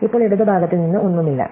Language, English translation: Malayalam, And now, there is nothing from the left